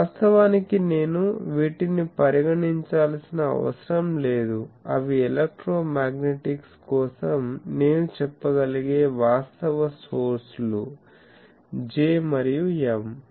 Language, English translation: Telugu, So, actual sources I can say are for electromagnetics are J and M